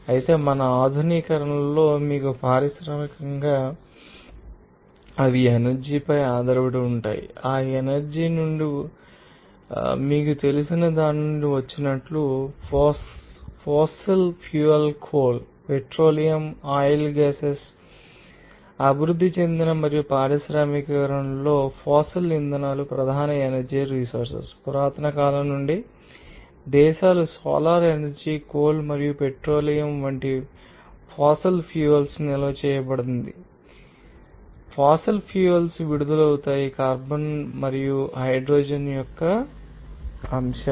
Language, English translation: Telugu, Whereas, you will see that in our modern you know industrial society, which are dependent upon for the energy and those energy comes from you know that, just by you know come from that, you know, natural resources like fossil fuels coal, petroleum, oil and gas like this, that case, fossil fuels are the major sources of energy in developed and industrialized, you can see that nations solar energy from the ancient past is stored in fossil fuels such as coal and petroleum and fossil fuels are released in the elements of carbon and hydrogen